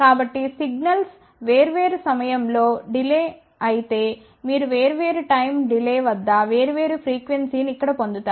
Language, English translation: Telugu, So, if the signals are delayed by different time you will actually here different frequencies at a different time delay